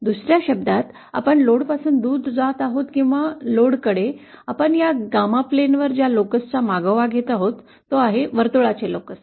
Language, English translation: Marathi, In other words whether we are moving away from the load or towards the load, the locus that we will be traversing on this Gamma plane is that of a circle